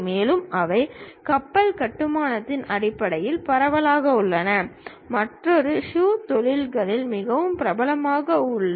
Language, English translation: Tamil, And, they are widespread in terms of shipbuilding and the other one is shoe industries also is quite popular